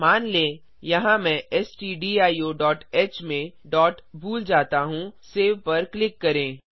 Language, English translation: Hindi, Suppose here I will the miss the dot in stdio.h Click on Save